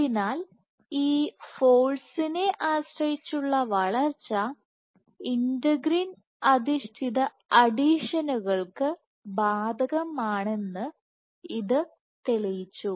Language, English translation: Malayalam, So, this proved that this force dependent growth applies to integrin based adhesions